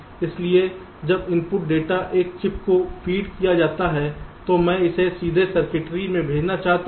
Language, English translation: Hindi, so when the input data is fed to a chip, i want to send it directly to the circuitry inside